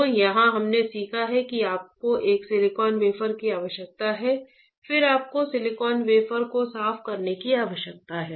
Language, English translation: Hindi, So, here what we have learned, we have learned that you require a silicon wafer right, then you need to clean the silicon wafer